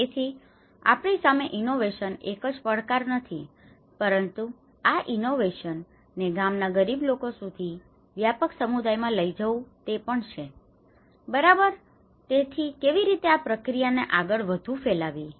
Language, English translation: Gujarati, So, in front of us, the biggest challenge is not just only an innovation but taking this innovation to the rural poor to the wider communities, okay so, how to take it further and how to diffuse this process